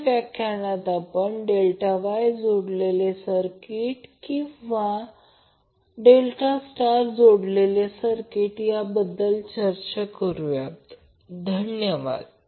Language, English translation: Marathi, So in the next lecture we will start our discussion with the delta Wye connected circuit or delta star connected circuit